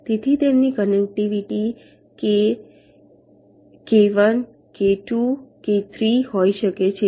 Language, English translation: Gujarati, so their connectivity can be k one, k two, k three